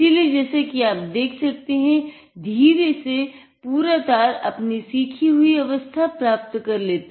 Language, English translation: Hindi, So, as you see, it slowly the entire length of the wire regains it is learned state